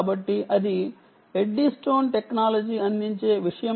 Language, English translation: Telugu, ok, so that is something that eddystone technology provides